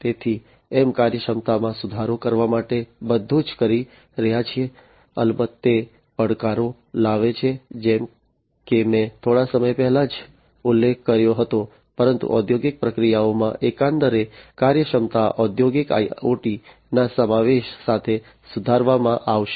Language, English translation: Gujarati, So, we are doing everything in order to improve upon the efficiency, of course that brings in challenges like the ones that I just mentioned a while back, but overall the efficiency in the industrial processes are going to be improved with the incorporation of industrial IoT